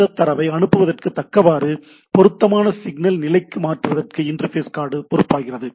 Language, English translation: Tamil, So, that the interface card is responsible to convert this data to that appropriate signal level